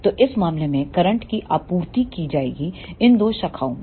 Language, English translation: Hindi, So, in this case the current will be supplied in these two branches